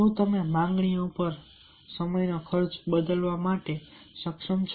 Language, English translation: Gujarati, are you able to change the time expenditure on demands